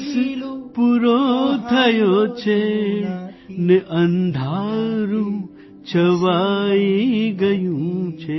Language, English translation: Gujarati, The day is gone and it is dark,